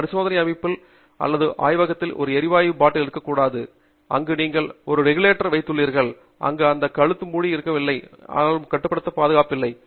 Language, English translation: Tamil, You must never have a gas bottle in your experimental setup or in your lab, where you have put a regulator, where this neck is not covered, and you still donÕt have it constrained or restrained or secured